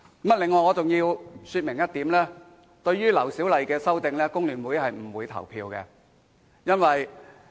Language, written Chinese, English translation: Cantonese, 此外，我要說明一點，對於劉小麗議員的修正案，工聯會議員是不會投票的。, Moreover I would like to clarify our stance concerning Miss LAU Siu - lais amendment that is Members from the FTU will not vote on her amendment